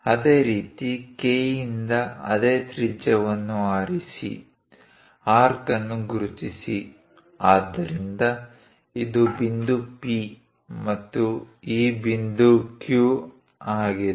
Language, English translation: Kannada, Similarly, from K, pick the same radius mark arc, so this one is point P, and this point Q